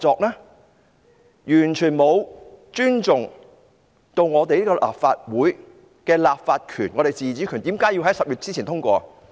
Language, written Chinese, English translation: Cantonese, 政府完全沒有尊重立法會的立法權和自主權，為何要在10月前通過？, The Government has shown total disregard for the Councils legislative power and autonomy . Why must the Bill be passed before October?